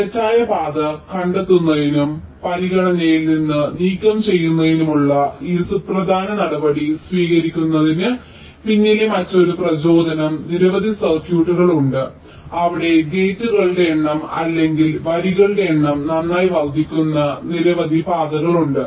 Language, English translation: Malayalam, now, another motivation behind having ah this apriory step of detecting false path and and removing them from the consideration is that there are many circuits where number of paths can grow exponentially with the number of gates or in number of lines